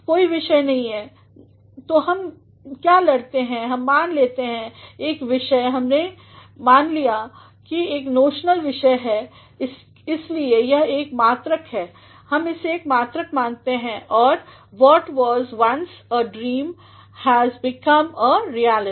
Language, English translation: Hindi, There is no subject; so, what we do is we consider it as a subject, we consider it as a notional subject and that is why this is one unit, we consider it as one unit and what was once a dream has become reality